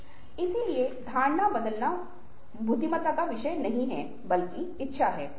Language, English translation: Hindi, so changing perception is not a matter of intelligence but willingness